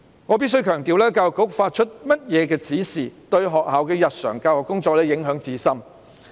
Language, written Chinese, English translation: Cantonese, 我必須強調，教育局發出怎樣的指示，對學校的日常教育工作影響至深。, I must emphasize that the direction issued by the Education Bureau will have a profound impact on the daily educational work of the schools